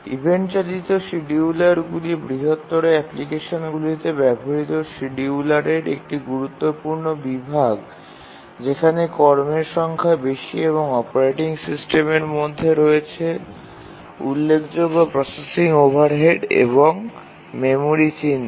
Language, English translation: Bengali, The event driven schedulers are an important category of schedulers used in larger applications where the number of tasks are more and the operating system uses significant processing overhead and also memory footprint